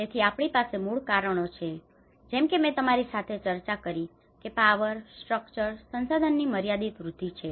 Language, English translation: Gujarati, So we have the root causes as I discussed with you, that the limited access to the power, structures, resources